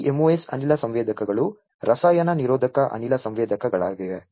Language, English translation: Kannada, This MOS gas sensors are chemi resistive gas sensors